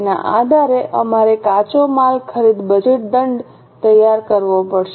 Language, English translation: Gujarati, Based on this we will have to prepare raw material purchase budget